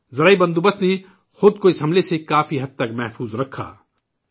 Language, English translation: Urdu, The agricultural sector protected itself from this attack to a great extent